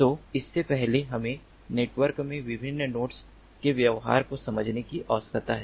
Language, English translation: Hindi, so before that we need to understand the behavior of the different nodes in the network